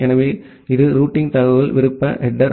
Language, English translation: Tamil, So, that is the routing information optional header